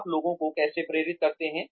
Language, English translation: Hindi, How do you motivate people